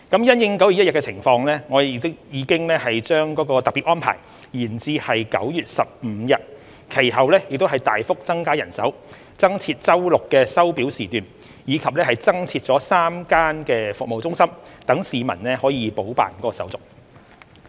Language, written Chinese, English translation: Cantonese, 因應9月1日情況，我們已把該特別安排延長至9月15日，其後又大幅增加人手、增設周六的收表時段，以及增設3間服務中心讓市民補辦手續。, In view of the circumstances on 1 September we have extended the special arrangement to 15 September . We have also subsequently increased manpower substantially made available additional service hours on Saturdays and operated three additional service centres for people to complete the process